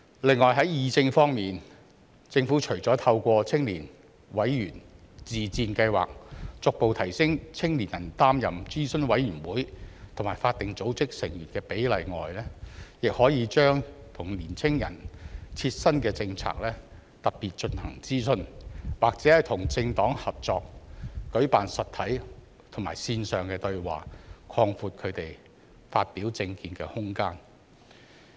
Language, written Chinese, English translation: Cantonese, 此外，在議政方面，政府除了透過青年委員自薦計劃逐步提升年輕人擔任諮詢委員會及法定組織成員的比例外，亦可以特別就年輕人切身的政策進行諮詢，或與政黨合作舉辦實體及線上對話，擴闊他們發表政見的空間。, Moreover as regards participation in policy discussion besides gradually increasing the proportion of young people serving on advisory committees and statutory bodies through the Member Self - Recommendation Scheme for Youth the Government can conduct consultation specifically on policies of immediate concern to young people or co - organize physical and online dialogues with political parties to provide more room for them to express their political views